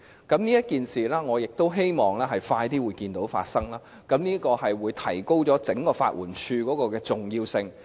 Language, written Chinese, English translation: Cantonese, 就這項安排，我希望能盡快看見政府付諸實行，因為這會提升整個法援署的重要性。, With regard to this arrangement I wish to see its expeditious implementation by the Government for this will enhance the importance of LAD as a whole